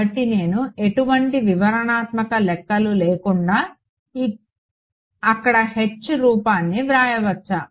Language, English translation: Telugu, So, can I without any detailed calculations write down the form of H there